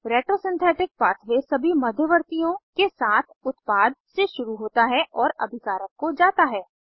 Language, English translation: Hindi, Retrosynthetic pathway starts with the product and goes to the reactant along with all the intermediates